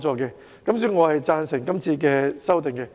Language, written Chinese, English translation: Cantonese, 所以，我贊成今次的修訂。, Thus I support the amendments proposed